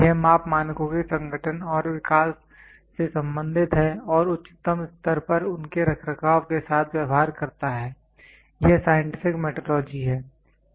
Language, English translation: Hindi, It deals with the organization and development of measurement standards and with their maintenance at the highest level is scientific metrology